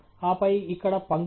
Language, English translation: Telugu, And then, here lines